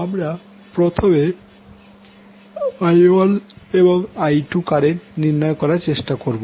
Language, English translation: Bengali, So, how to solve, we will first try to find out the currents I1 and I2